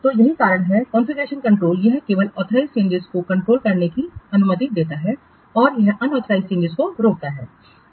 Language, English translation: Hindi, So that's why confusion control, it allows only the authorite changes to be controlled and it prevents the unauthorized changes